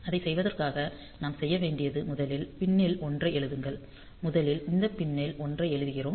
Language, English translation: Tamil, So, for doing it; so, what we need to do is first write a 1 to the pin; so first we write a 1 to this pin